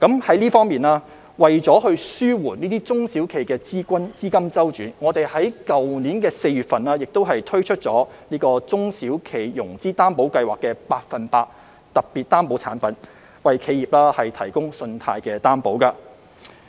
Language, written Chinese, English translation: Cantonese, 在這方面，為紓緩中小企資金周轉的壓力，我們在去年4月推出了中小企融資擔保計劃的百分百特別擔保產品，為企業提供信貸擔保。, In this regard in order to alleviate the cash flow pressure of SMEs we launched the Special 100 % Guarantee Product under the SME Financing Guarantee Scheme last April to provide credit guarantee for enterprises